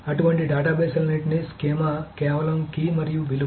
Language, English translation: Telugu, So, for all such databases, the schema is just key and value